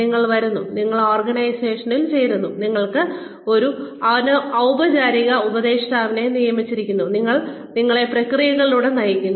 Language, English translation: Malayalam, You come, you join the organization, you are assigned a formal mentor, who guides you through the processes